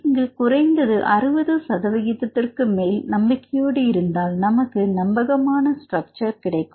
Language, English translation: Tamil, So, in that case you can get at least more than 60 percent confident that you can get the reliable structure